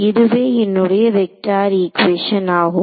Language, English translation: Tamil, So, this is the vector wave equation ok